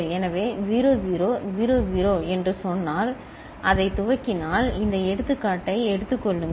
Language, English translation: Tamil, So, if we initialise it with say 0 0 0 0 then take this example